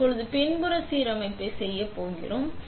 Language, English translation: Tamil, We are going to be doing a backside alignment now